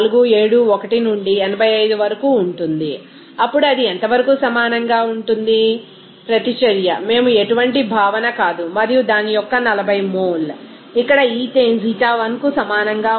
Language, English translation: Telugu, 471 into 85 then that will be is equal to as far as extent of reaction, we are no concept and 40 mole of that means, here ethane that will be equal Xi1